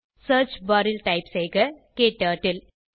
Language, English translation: Tamil, In the Search bar, type KTurtle